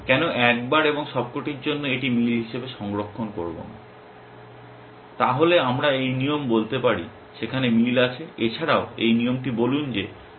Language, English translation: Bengali, Why not once and for all save as the this is match, then we can tell this rule there is matching also tell this rule that is pattern is matching